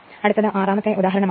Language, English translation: Malayalam, So, next is example 5